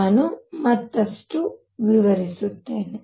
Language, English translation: Kannada, Let me explain further